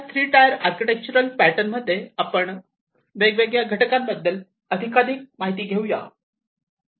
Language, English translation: Marathi, So, this three tier architecture pattern let us go through the different components, in further more detail